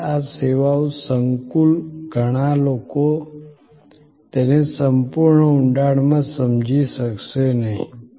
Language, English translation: Gujarati, Now, this services complex, so many people may not be able to understand it in full depth